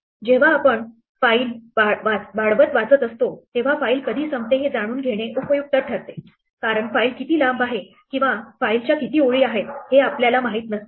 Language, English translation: Marathi, When we are reading a file incrementally, it is useful to know when the file is over because we may not know in advance how long files is or how many lines of file is